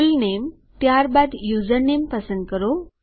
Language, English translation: Gujarati, Fullname, then choose a username